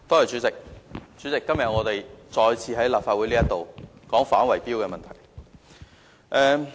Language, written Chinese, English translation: Cantonese, 主席，今天我們再次在立法會討論反圍標的問題。, President today in the Legislative Council we are discussing the issue of combating bid - rigging once again